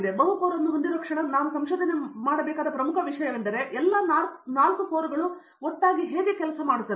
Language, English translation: Kannada, The moment I have multi core, then one of the important thing that we need to research upon is, how do I make all the 4 cores work together